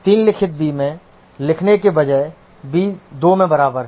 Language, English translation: Hindi, Instead of writing b into 3, written b is equal to b into 2